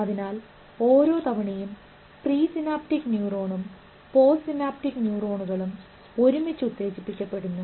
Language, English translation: Malayalam, So, every time the pre synaptic neuron and the post synaptic neurons are fired together, their synaptic strength will keep increasing and they will always fire together